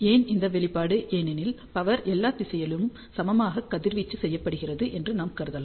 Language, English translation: Tamil, Why this expression because if we assume that power is radiated equally in all the direction